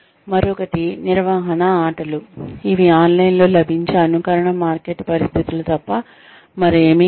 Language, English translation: Telugu, The other is management games, which are nothing but, simulated marketplace situations, that are available online